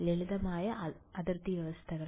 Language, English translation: Malayalam, Simple boundary conditions